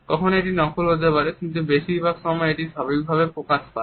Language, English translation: Bengali, Sometimes it can be artificial, but most of the times it comes out naturally